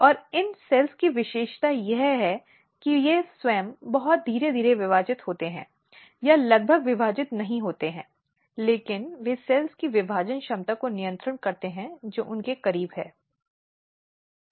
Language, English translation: Hindi, And the feature of these cells are that they themselves are very slowly dividing or almost not dividing, but they regulates the division capability of the cells which are close to them